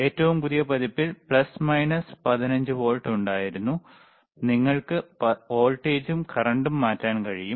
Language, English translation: Malayalam, iIn thea newer version, there was plus minus 15 volts, you can change the voltage you can change the and current